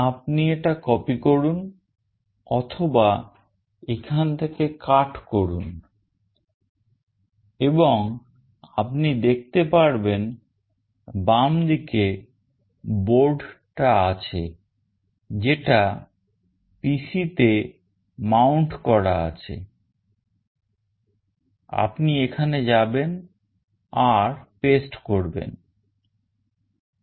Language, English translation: Bengali, You copy it or you can cut it from here, and you can see in the left side is the board which is mounted on the PC; you go here and you paste it